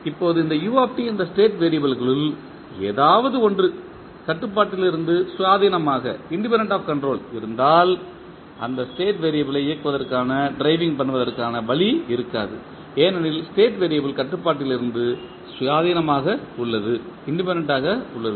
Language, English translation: Tamil, Now, if any one of this state variables is independent of the control that is u t there would be no way of driving this particular state variable because the State variable is independent of control